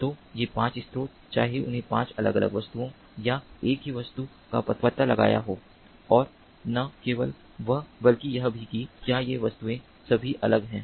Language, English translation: Hindi, so these five sources, whether they have detected five different objects or the same object, and not only that, but also whether these objects are all different